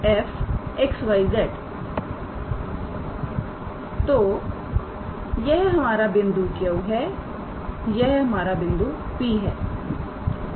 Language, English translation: Hindi, So, this is our point Q this is our point P